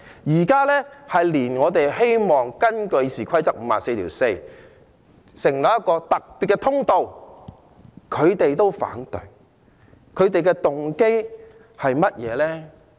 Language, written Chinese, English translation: Cantonese, 現在連我們希望根據《議事規則》第544條，成立一個特別通道，他們也反對，他們的動機是甚麼？, At present they even oppose the special channel that we wish to establish under Rule 544 of the Rules of Procedure . What is their motive?